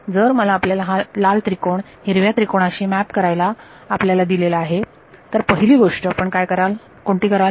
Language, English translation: Marathi, So, if I want you to map this red triangle to green triangle what is the first thing you would do